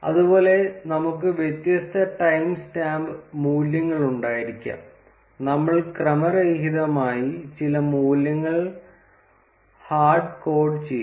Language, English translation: Malayalam, Similarly, we can have different time stamp values and we will just randomly hard code some of the values